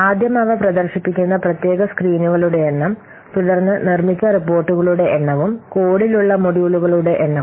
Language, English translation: Malayalam, First, the number of separate screens they are displayed, then the number of reports that are produced and the number of modules they are present in the code